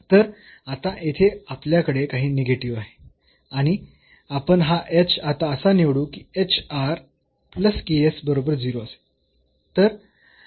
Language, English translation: Marathi, So, we have something negative sitting here now and we choose this h now such that hr plus this ks is equal to 0